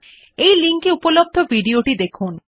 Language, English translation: Bengali, Watch the video available the following link